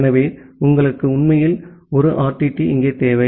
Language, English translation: Tamil, So, you actually require 1 RTT here